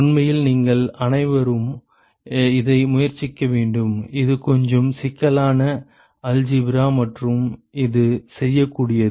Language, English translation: Tamil, In fact, you should all try this it is it is a little bit complicated algebra and it is doable